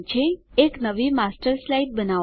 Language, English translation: Gujarati, Create a new Master Slide